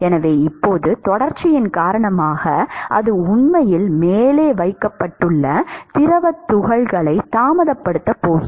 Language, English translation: Tamil, So, now, because of continuity it is going to retard the fluid particles which has actually placed above it